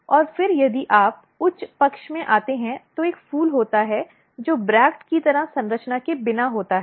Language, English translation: Hindi, And then if you come to the higher side there is a flowers which is without bract like structure